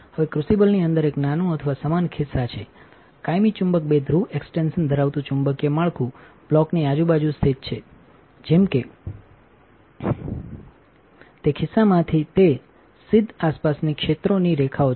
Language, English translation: Gujarati, Now, the crucible has a smaller or similar pocket within it a magnetic structure consisting of permanent magnet two pole extensions are located around the block such that it is fields lines around run to side of the pocket